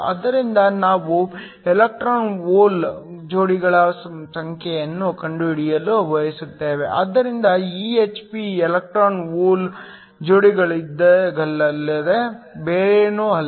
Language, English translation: Kannada, So, We want to find out the number of electron hole pairs, so EHP is nothing but electron hole pairs